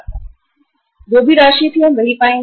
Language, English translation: Hindi, Whatever that sum was we will find that